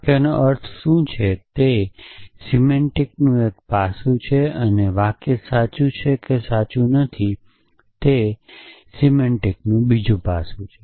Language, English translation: Gujarati, So, what do the sentences mean is one aspect of semantics and is a sentence true or not true is the other aspect of semantics